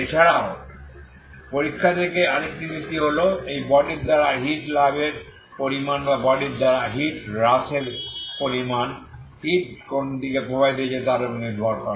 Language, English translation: Bengali, Also another principle from the experiment is quantity of heat gain by this body or quantity of heat loss by the body depending on, okay depending on how which direction the heat is flowing